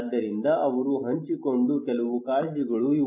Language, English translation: Kannada, So these are some of the concern they shared